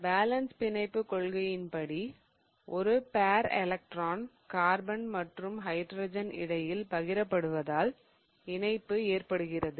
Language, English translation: Tamil, According to the balance bond theory, the bonding results because one pair of electron is shared between a carbon and hydrogen atom